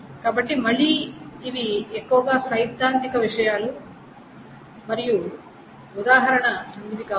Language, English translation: Telugu, So, these are mostly theoretical things and example can be the following